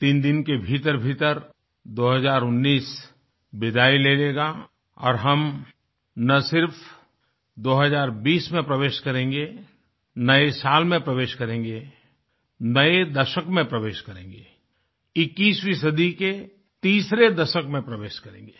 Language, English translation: Hindi, In a matter of just 3 days, not only will 2019 wave good bye to us; we shall usher our selves into a new year and a new decade; the third decade of the 21st century